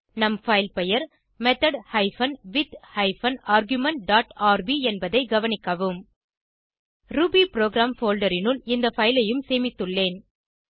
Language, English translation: Tamil, Please note that our filename is method hyphen with hyphen argument dot rb I have saved this file also inside the rubyprogram folder